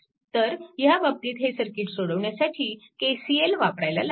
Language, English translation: Marathi, So, in this case what you call a this KCL is needed, for solving this circuit